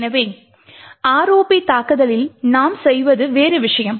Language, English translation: Tamil, Therefore, what we do in the ROP attack is something different